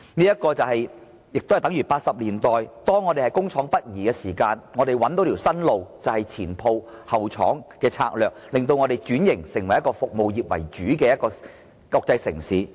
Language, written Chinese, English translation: Cantonese, 這情況亦等同1980年代，當香港工業北移時，香港找到新的出路，便是"前鋪後廠"的策略，令香港轉型成為服務業為主的國際城市。, Here we must do something similar to what we did back in the 1980s when Hong Kongs industries all shifted northward . Back then Hong Kong identified a new avenue the strategy of front - end shop and back - end factory . In this way Hong Kong transformed itself to a services - oriented world city